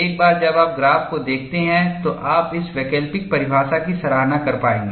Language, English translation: Hindi, Once you look at the graph, you will be able to appreciate this alternate definition